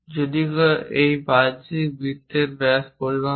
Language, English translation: Bengali, If someone measure the diameter of that outer circle, if it is 2